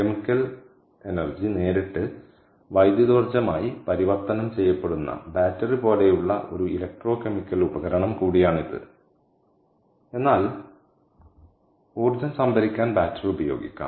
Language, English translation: Malayalam, this is also an electrochemical device like battery, ok, where chemical energy is converted to electrical energy directly, all right, but battery can be used to store energy, whereas fuel cell is direct conversion, real time